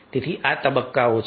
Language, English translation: Gujarati, so these are the stages